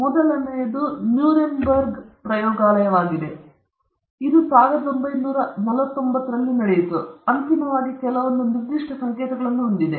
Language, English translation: Kannada, The first one is the Nuremberg trials which took place somewhere around 1949, which has ultimately some with certain codes